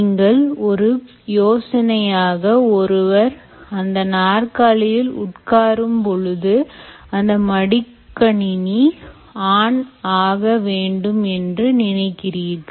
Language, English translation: Tamil, one simple idea you can say is: if a person sits on this chair, the laptop switches on right